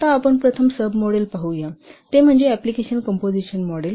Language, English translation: Marathi, Now let's see the first sub model, that is the application composition model